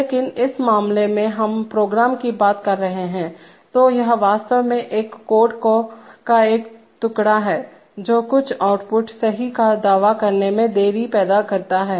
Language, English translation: Hindi, But in this case we are talking of the program, so it is actually a, so it is actually a piece of code which creates a delay in asserting some output, right